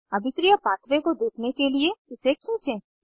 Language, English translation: Hindi, Drag to see the reaction pathway